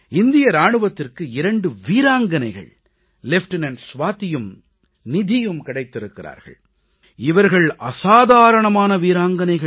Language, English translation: Tamil, The Indian Army has got two extraordinary brave women officers; they are Lieutenant Swati and Nidhi